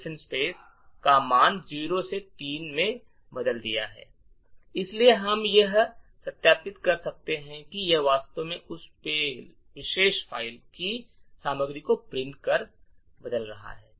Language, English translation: Hindi, So, we can verify that it indeed has changed by printing out the result the contents of that particular file